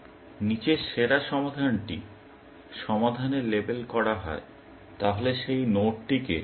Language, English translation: Bengali, If the best solution below is label solved, then label that node; solved